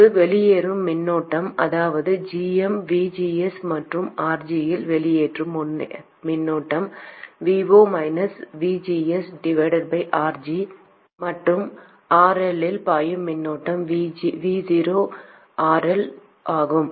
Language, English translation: Tamil, The current flowing out here that is GM VGS plus the current flowing out in RG is VO minus VG by RG plus the current flowing out in RL is VO by RL and all these things sum to zero